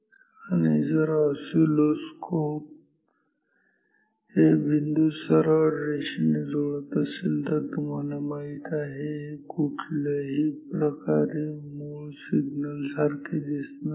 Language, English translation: Marathi, And, if the oscilloscope joins this path these dots with maybe straight lines, you know this does not look at all like the original signal